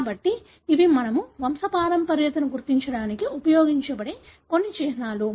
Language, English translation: Telugu, So, these are some of the symbols that we use to identify the pedigree